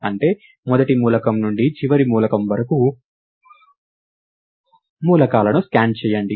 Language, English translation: Telugu, That is scan the elements from the first element to the last element